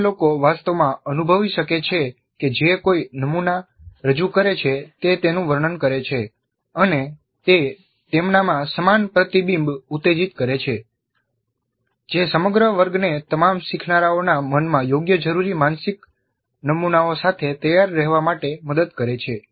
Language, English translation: Gujarati, Others can actually experience what someone who is presenting the model describes and it stimulates similar recollection in them which helps the entire class to be ready with proper requisite mental models invoked in the minds of all the learners